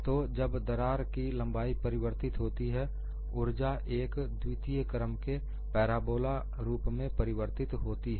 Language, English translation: Hindi, So, when the crack length changes, the energy would change as a parabola, second degree curve